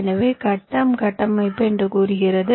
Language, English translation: Tamil, so what does grid structure says